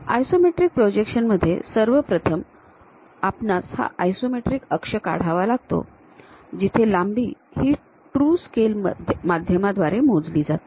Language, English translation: Marathi, In isometric projections first of all we have to construct this isometric axis where lengths can be measured on true scale basis